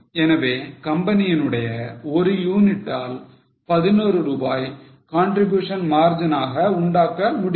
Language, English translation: Tamil, So from one unit of A, company is able to make contribution margin of 11